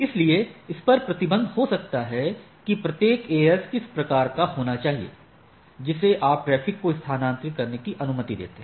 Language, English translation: Hindi, So, there can be restriction on which sort of AS it should first type of thing that you allow it to transit the traffic